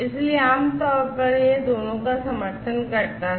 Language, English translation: Hindi, So, typically it will support both